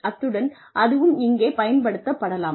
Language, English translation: Tamil, And, that can also be used here